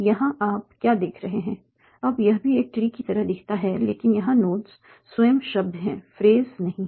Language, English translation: Hindi, Now this also looks like a tree but the notes here are the words themselves, not the phrases